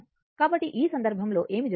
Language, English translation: Telugu, So, in this case what is happening